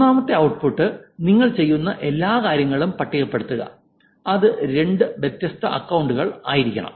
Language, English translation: Malayalam, The third output is list on all the things that you will do which will make that it's two different accounts